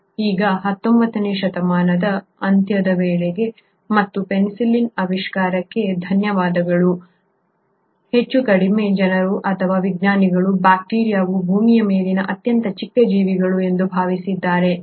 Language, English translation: Kannada, Now by the end of 19thcentury and thanks the discovery of penicillin, more or less people or scientists thought that bacteria are the smallest possible organisms on Earth